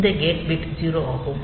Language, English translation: Tamil, So, this gate bit is 0